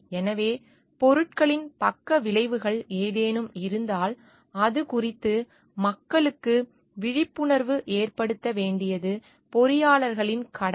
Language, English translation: Tamil, So, it is the duty of the engineers to make people aware of the side effects of the products if there are any